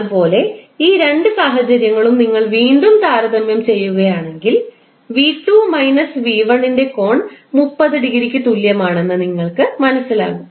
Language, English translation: Malayalam, Similarly for these two cases if you compare both of them, again you will come to know the angle of V2 minus V1 is equal to 30 degree